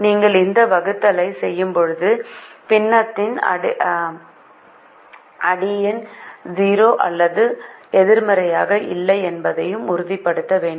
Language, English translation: Tamil, you also have to make sure that when you do this division the denominator is not zero or negative